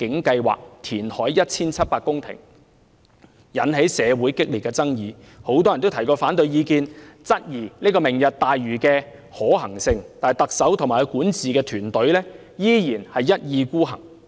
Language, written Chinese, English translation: Cantonese, 該計劃建議填海 1,700 公頃，引起社會激烈爭議，很多人提出了反對意見，質疑這項計劃的可行性，但特首及其管治團隊依然一意孤行。, The programme which proposes the reclamation of 1 700 hectares of land has aroused a strong controversy in society . Many people have expressed opposition and queried the feasibility of the programme yet the Chief Executive and her administrative team insist on having their way